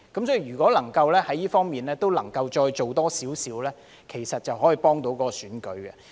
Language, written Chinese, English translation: Cantonese, 所以，如果能夠在這方面再多做一些，其實便能幫助選舉。, Hence if more can be done in this regard it will actually be conducive to elections